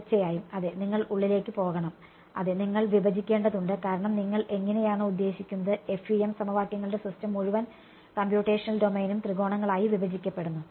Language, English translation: Malayalam, Of course you have to go yeah inside yeah you have to discretize because I mean how do you, FEM system of equations the entire computational domain is broken up into triangles